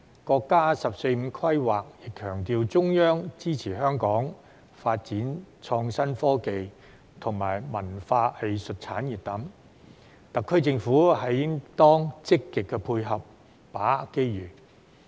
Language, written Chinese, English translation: Cantonese, 國家的"十四五"規劃亦強調中央支持香港發展創新科技及文化藝術產業等，特區政府應當積極配合，把握機遇。, The National 14th Five - Year Plan also emphasized that the Central Authorities support the development of innovation and technology as well as the cultural and arts industries in Hong Kong . The SAR Government should actively provide facilitation and seize the opportunities